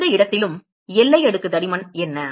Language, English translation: Tamil, How we find the boundary layer thickness